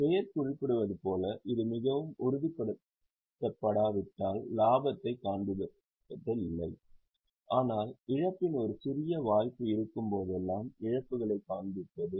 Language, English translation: Tamil, As the name suggests, it is about not showing profit unless it is extremely confirmed, but showing all losses whenever there is a slight likelihood of a loss